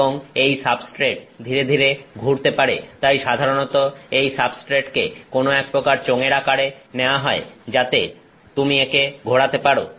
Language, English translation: Bengali, And, this substrate can slowly rotate; so, usually the substrate is in the form of some kind of cylinder so, you keep rotating it